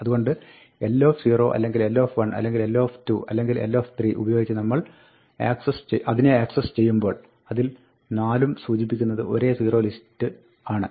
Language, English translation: Malayalam, So, whether we access it through l 0 or l 1 or l 2 or l 3, all 4 of them are pointing to the same zerolist